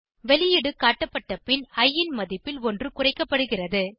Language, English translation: Tamil, After the output is displayed, value of i is decremented by 1